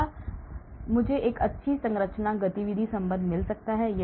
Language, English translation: Hindi, Do I get a good structure activity relationship